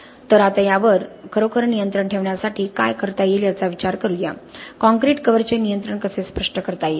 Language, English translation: Marathi, So let us now think about what can be done to really control this, how can we actually specify the control of the concrete cover